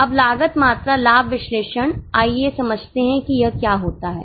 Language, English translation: Hindi, Now going to cost volume profit analysis, let us understand what does it take into account